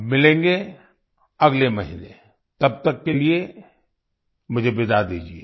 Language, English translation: Hindi, We'll meet next month, till then I take leave of you